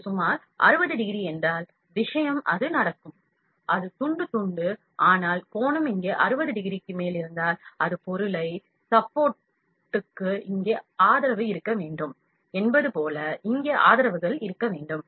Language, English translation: Tamil, If it is about 60 degree, the thing would happen it just deposit slice, slice, slice, but if angle is more than 60 degree here, it has to have supports here like it have to have supports here to support the material